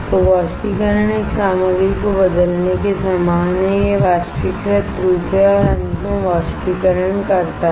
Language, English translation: Hindi, So, evaporation is similar to changing a material to it is vaporized form vaporized form and finally, evaporating